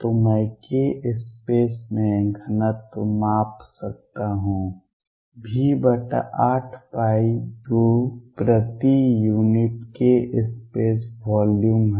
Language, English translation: Hindi, So, I can measure density in k space is v over 8 pi cubed per unit k space volume